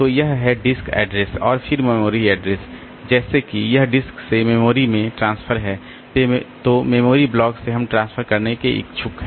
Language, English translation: Hindi, So, that is the disk address and then the memory address like if it is a transfer from memory to the disk then from which memory block we are willing to transfer